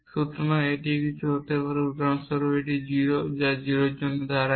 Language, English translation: Bengali, So, it could be something like for example, 0 which stands for 0 or which could stands for an empty